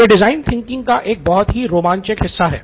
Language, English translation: Hindi, A very exciting portion of design thinking